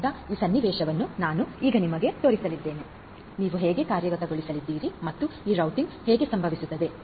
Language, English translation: Kannada, So, this is this scenario that we are going to show you now, how you are going to implement and how this routing is going to happen